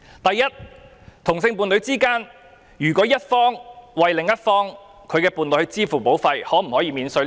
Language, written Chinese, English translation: Cantonese, 第一，同性伴侶的一方為另一方購買自願醫保，可否獲得扣稅？, If one party in a same - sex couple purchased a VHIS policy for the other party can heshe be offered tax deduction?